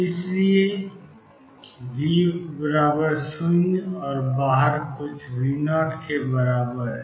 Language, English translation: Hindi, So, V equals 0 and being equal to sum V 0 outside